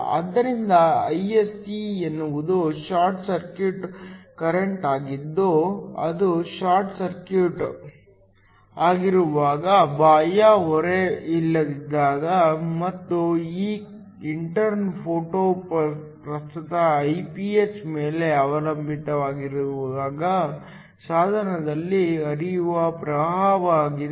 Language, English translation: Kannada, So, Ise is the short circuit current which is the current that flows through at the device when it is short circuited, when there is no external load and this intern depends upon the photo current Iph